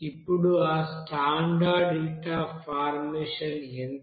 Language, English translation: Telugu, Now what is that standard heat of formation